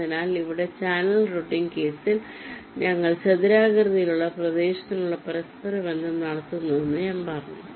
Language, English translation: Malayalam, so, as i said that here in ah channel routing case, we carry out the interconnections within rectangular region, now inside the channel, the way we have defined it